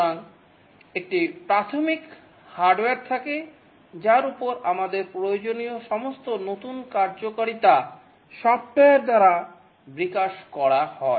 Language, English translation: Bengali, So there is a basic hardware on which all our new functionalities that are required are developed by software